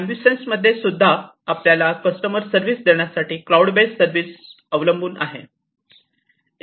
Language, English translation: Marathi, So, in the AmbuSens as well, we are falling back on the cloud based service for offering the services to the customers